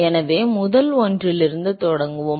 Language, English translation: Tamil, so let us start from the first one